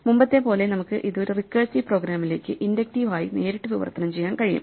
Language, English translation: Malayalam, As before we can directly translate this into an inductive into a recursive program